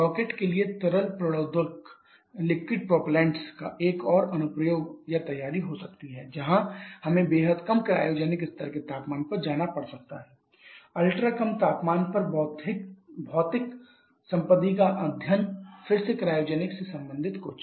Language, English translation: Hindi, There can be another application or preparation of liquid propellants for Rockets where we may have to go to extremely low cryogenic level temperatures study of material property at ultra low temperature again something related to cryogenics